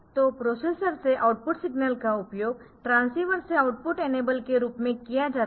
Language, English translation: Hindi, So, output signal from the processor used to as output enable for the transceiver